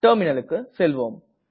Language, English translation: Tamil, Let us go to the Terminal now